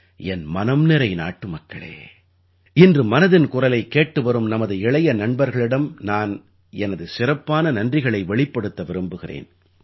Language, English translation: Tamil, My dear countrymen, today I wish to express my special thanks to my young friends tuned in to Mann ki Baat